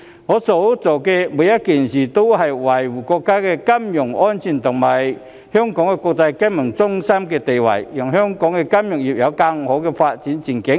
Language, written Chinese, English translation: Cantonese, 我所做的每一件事都是維護國家的金融安全和香港國際金融中心的地位，讓香港的金融業有更好的發展前景。, Everything I have done is for the purpose of safeguarding the financial security of the country and Hong Kongs status as an international financial centre so that Hong Kongs financial industry can enjoy brighter development prospects